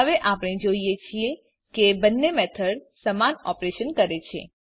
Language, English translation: Gujarati, Now we see that both the method performs same operation